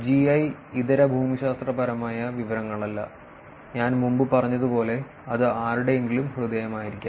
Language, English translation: Malayalam, And non GI – non geographic information which could be I think as I said before, it could be somebody’s heart, h e a r t